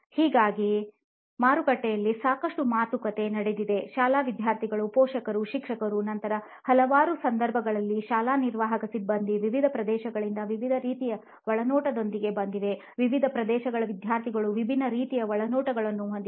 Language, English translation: Kannada, So even there is a lot of talking that has been done with the market, parents market as in the school students, then the parents, teachers, then the school admin staff in numerous occasions where we have come with different types of insights from different regions students from different regions have different types of insights